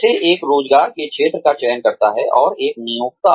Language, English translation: Hindi, How does one select a field of employment, and an employer